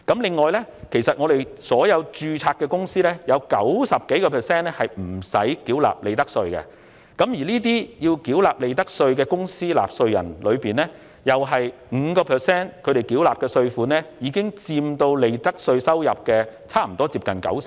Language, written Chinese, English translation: Cantonese, 此外，在所有註冊公司當中，超過 90% 不必繳納利得稅，而須繳納利得稅的公司，同樣只佔 5%， 其所繳納稅款已佔全部利得稅約 90%。, In addition more than 90 % of all registered companies are not subject to profits tax . Likewise 90 % of the total profits tax revenue comes from only 5 % of the companies paying profits tax